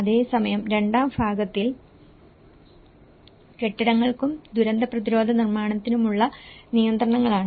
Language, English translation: Malayalam, Whereas, in the second part regulations for buildings and disaster resistant construction